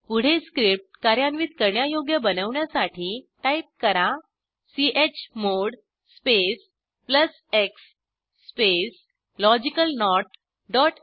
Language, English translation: Marathi, Next, make the script executable by typing: chmod space plus x space logicalNOT dot sh press Enter